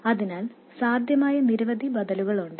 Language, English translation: Malayalam, So, there are many possible alternatives